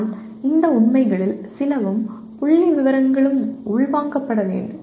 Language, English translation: Tamil, But it is some of these facts and figures have to be internalized